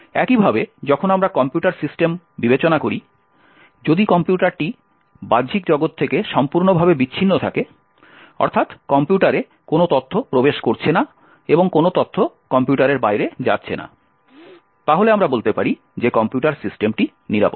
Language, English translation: Bengali, In a very similar way, when we consider computer systems, if the computer is totally disconnected from the external world, no information is going into the computer and no information is going outside a computer, then we can say that computer system is secure